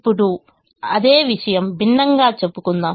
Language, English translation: Telugu, now same thing is told differently